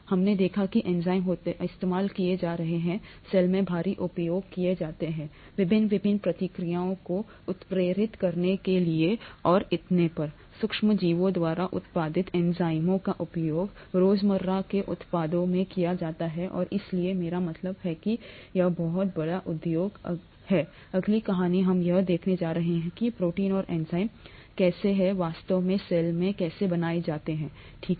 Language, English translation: Hindi, We saw that enzymes are being used, heavily used in the cell, for catalysing various different reactions and so on, enzymes produced by microorganisms are used in everyday products and so I mean, that’s a very large industry, the next story we’re going to see how the proteins and the enzymes are actually made in the cell, okay